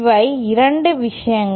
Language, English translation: Tamil, These are the 2 things